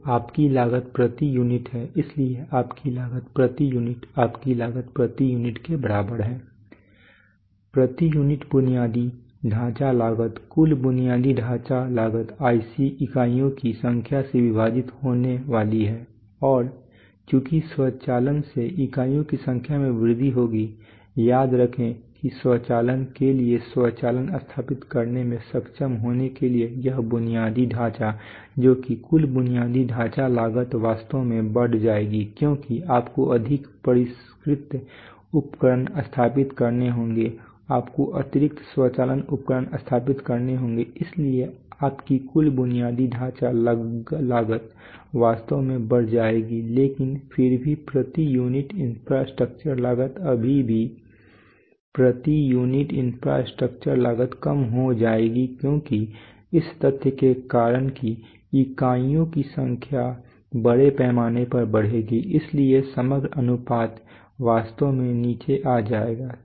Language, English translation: Hindi, So your cost per unit is so your cost per unit your cost per unit is equal to that is infrastructure cost per unit is going to be total infrastructure cost divided by number of units and since automation will enhance the number of units remember that for automation, the, to be able to install automation this infrastructure that is the total infrastructure costs will actually go up because you have to install more sophisticated equipment you have to install additional automation equipment so your total infrastructure costs will actually go up but still the infrastructure cost per unit the still the infrastructure cost per unit will come down because of the fact that that this number of units will go up massively, so the overall ratio will actually come down